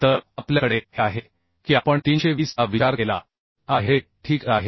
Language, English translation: Marathi, So S we have this is we are considering 320 ok